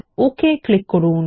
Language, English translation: Bengali, Now click on the OK